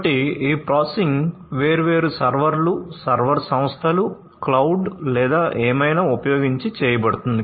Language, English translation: Telugu, So, this processing will be done using different servers, server firms, cloud or, whatever